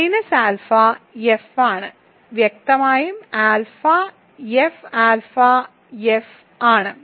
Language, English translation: Malayalam, So, minus alpha is in F obviously then alpha is F alpha is in F